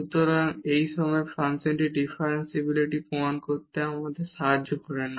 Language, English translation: Bengali, So, it does not help us to prove the differentiability of this function at this point of time